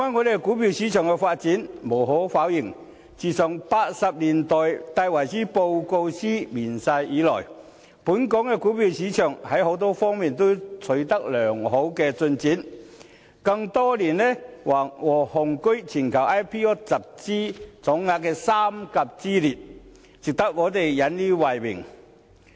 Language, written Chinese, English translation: Cantonese, 說回股票市場的發展，無可否認，自1980年代戴維森報告書面世以來，本港的股票市場在多方面均取得良好的進展，更多年雄踞全球 IPO 集資總額的三甲之列，值得我們引以為榮。, Back to stock market development it cannot be denied that the stock market of Hong Kong has made good progress on various fronts since the publication of the Davison Report in the 1980s and for years it has been one of the top three places around the world in the total volume of equity funds raised through initial public offerings IPOs . This is something we really take pride in